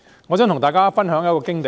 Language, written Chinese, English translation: Cantonese, 我想跟大家分享一則經驗。, I would like to share with Members my experience